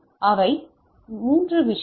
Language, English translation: Tamil, So, these are the 3 thing